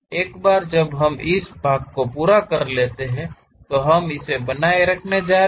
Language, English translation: Hindi, Once we are done this part whatever we are going to retain that we are showing it here